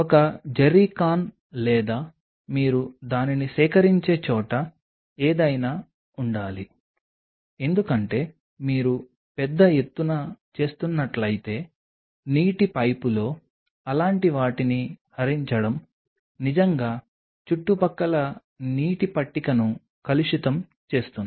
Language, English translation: Telugu, There has to be a jerrycan or something where you can collect it because draining such things in the water pipe can really pollute the surrounding water table if you are doing it in large scale